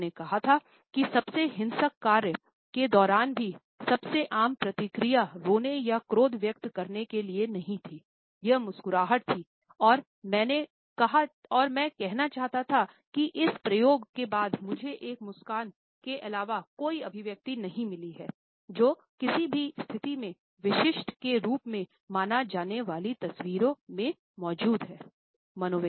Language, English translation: Hindi, He had said and I quote that even during the most violent task and some of them were, the most common reaction was not either to cry or to express anger, it was to smile and I quote “So far as this experiment goes I have found no expression other than a smile, which was present in a photographs to be considered as typical of any situation”